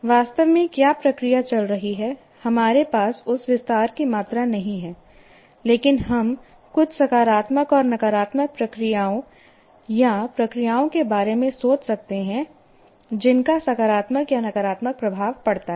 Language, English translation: Hindi, We do not have that amount of detail, but we can think of some positive and negative processes that are processes that have either positive or negative influences